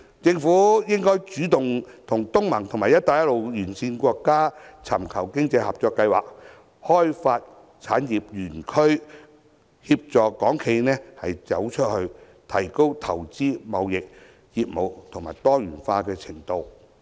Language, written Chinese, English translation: Cantonese, 政府應主動與東盟及"一帶一路"沿線國家尋求經濟合作計劃，開發產業園區，協助港資企業"走出去"，提高投資、貿易及業務多元化的程度。, The Government should take the initiative to seek opportunities to cooperate with the ASEAN states and the Belt and Road countries in economic development and establish industrial parks so as to assist Hong Kong - owned enterprises to go global and increase their diversity of investment trade and business activities